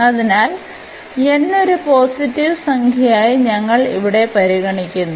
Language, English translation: Malayalam, So, suppose here n is a positive number